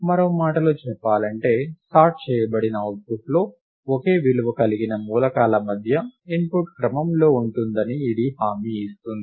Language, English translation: Telugu, In other words, it guarantees that, the input order among elements of the same value is respected in the sorted output